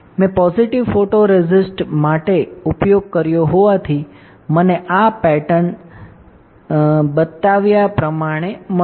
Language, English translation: Gujarati, Since I have used for positive photoresist, I will get pattern as shown in this schematic